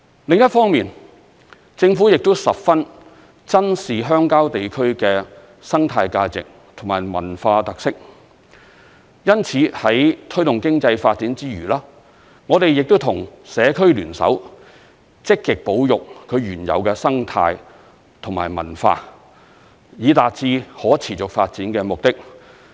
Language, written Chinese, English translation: Cantonese, 另一方面，政府亦十分珍視鄉郊地區的生態價值和文化特色，因此在推動經濟發展之餘，我們亦跟社區聯手，積極保育其原有的生態和文化，以達致可持續發展的目的。, Furthermore the Government also treasures the ecological value and cultural characteristics of rural areas . This explains why in the course of promoting their economic development we have also joined hands with local communities in actively conserving their original ecology and culture so as to achieve the purpose of sustainable development